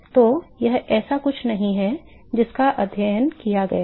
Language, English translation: Hindi, So, it is not something that has been studied